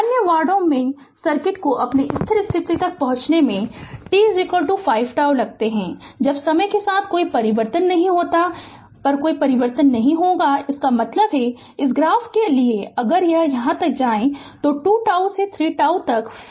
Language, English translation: Hindi, In other wards it takes t is equal to 5 tau for the circuit to reach its steady state, when no changes takes your when no changes takes place with time; that means, for this graph if you come if you go up to tau, 2 tau up to 3 tau up to 5 tau